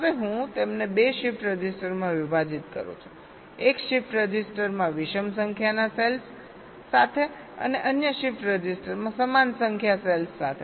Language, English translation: Gujarati, now i split them into two shift registers with the odd number cells in one shift register and the even number cells in the other shift register